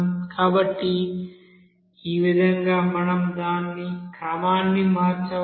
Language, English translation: Telugu, So in this way we can rearrange it